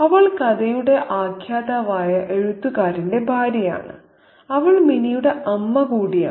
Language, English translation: Malayalam, So, she is the wife of the writer, narrator of the story and she is also the mother of Minnie